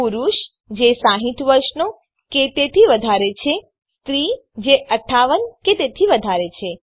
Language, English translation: Gujarati, Men it is 60 years and above, for women it is 58 years and above